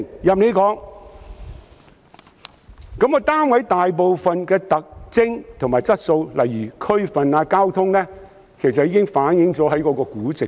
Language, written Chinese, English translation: Cantonese, 至於單位大部分的特徵和質素，例如地區及交通，其實已反映於估值。, As regards the characteristics and quality of a property such as location and ease of transport they are largely reflected in its valuation